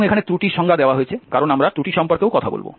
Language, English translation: Bengali, And the definition of the error because we will be also talking about error